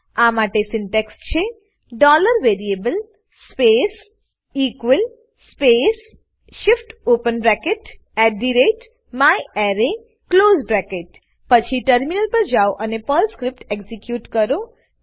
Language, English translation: Gujarati, This syntax for this is $variable space = space shift open bracket @myArray close bracket Then switch to the terminal and execute the Perl script